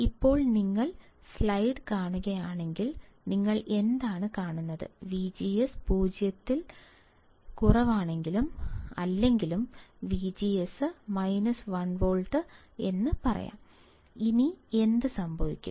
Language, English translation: Malayalam, Now, if you see the right slide, of the slide, what do you see; if V G S is less than 0, or let us say V G S is minus 1 volt;